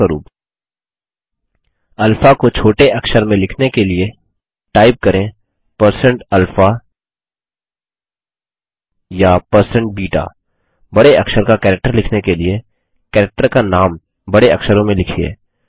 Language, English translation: Hindi, For example, to write alpha in lower case, type#160%alpha or#160%beta To write an uppercase character, type the name of the character in uppercase